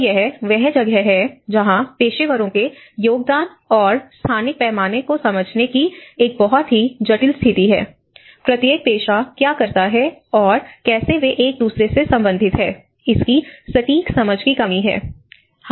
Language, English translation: Hindi, So that is where a very complex situation of understanding the professionals contribution and its scale on the spatial scale, a lack of precise understanding of what each profession does and how they relate to one another